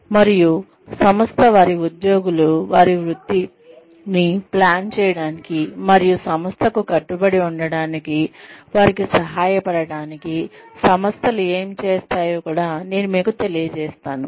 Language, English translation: Telugu, And, i will also inform you about, what organizations do, in order to, help their employees, plan their careers, and still stay committed to the organization